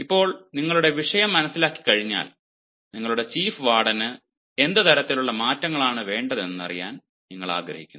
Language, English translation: Malayalam, once you understand your topic, you would also like to know what sort of changes your chief warden wants